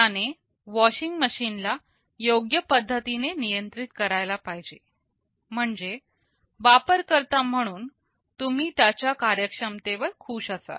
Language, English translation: Marathi, It should be able to control the washing machine in a proper way, so that as a user you would be happy with the performance